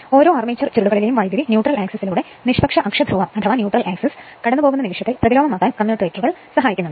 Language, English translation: Malayalam, So, the commutators serve to reverse the current in each armature coil at the instant it passes through the neutral axis